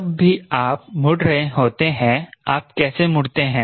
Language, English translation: Hindi, whenever you are turning, how do you turn you